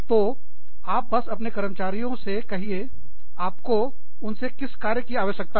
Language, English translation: Hindi, So, you just tell your employees, what you need them to do